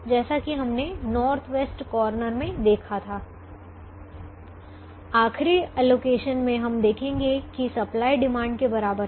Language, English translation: Hindi, as we saw in the north west corner, the last allocation, we will observe that the supply is equal to the demand